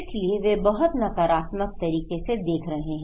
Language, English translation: Hindi, So, they are looking in a very negative way